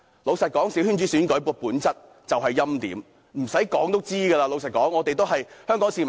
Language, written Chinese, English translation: Cantonese, 老實說，小圈子選舉的本質就是欽點，無需多說，這是大家都知道的事情。, Honestly the essence of a coterie election is hand - picking somebody; needless to say that is something we all know